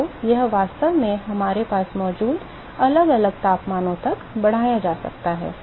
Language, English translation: Hindi, So, the, this can actually be extended to varying temperatures also we have